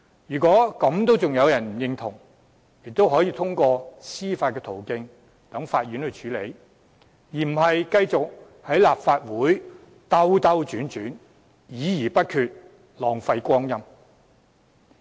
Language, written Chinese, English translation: Cantonese, 如果仍然有人對此不表認同，可通過司法途徑在法院處理，而非繼續在立法會兜兜轉轉，議而不決，浪費光陰。, Those who still disagree with this should resort to the legal avenue and have the matter handled in court instead of wrangling on and on in the Legislative Council engaging in fruitless discussions and wasting time